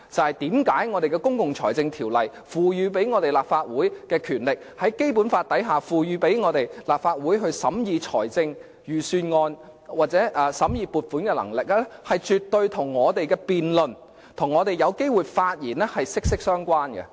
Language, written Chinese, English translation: Cantonese, 為甚麼《公共財政條例》賦予立法會的權力，根據《基本法》賦予立法會審議財政預算案或撥款的能力，肯定跟我們的辯論和發言權息息相關呢？, Why are the powers conferred on the Legislative Council under PFO and the powers conferred on the Legislative Council under the Basic Law to scrutinize budgets or appropriations are definitely inextricably linked with our right to speak and debate?